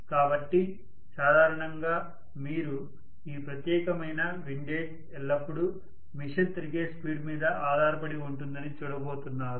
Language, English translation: Telugu, So generally you are going to see that this particular windage is always dependent upon the speed at which the machine is rotating